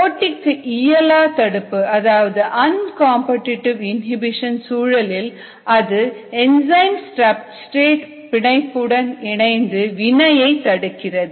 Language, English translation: Tamil, in the uncompetitive inhibition, it binds only to the enzyme substrate complex and inhibits